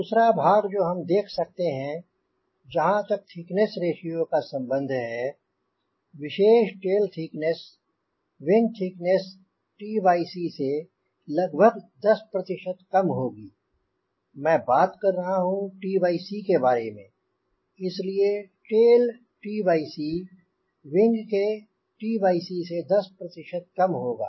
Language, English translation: Hindi, another part: we will see that as far as thickness ratio is concerned, typically tail thickness will be ten percent, roughly ten percent lesser than wing t by c